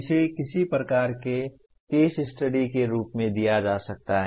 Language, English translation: Hindi, This can be given as some kind of case study